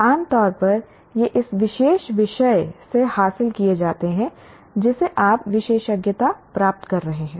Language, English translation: Hindi, Generally these are acquired from this particular subject that you are specializing